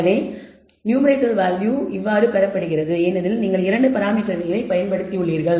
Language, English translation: Tamil, So, generally the numerator value is obtained, because you have used 2 parameters